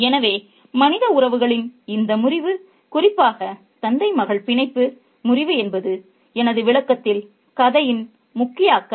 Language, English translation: Tamil, So, this breakup of human relationship, particularly the breakup of the father daughter bond is the key concern of the story in my interpretation